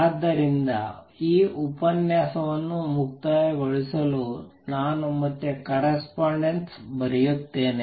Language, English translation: Kannada, So, to conclude this lecture I will just again write the correspondence